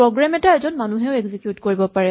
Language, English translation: Assamese, A program could also be executed by a person